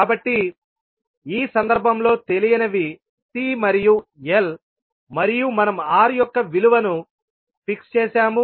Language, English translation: Telugu, So in this case the unknowns were C and L and we fix the value of R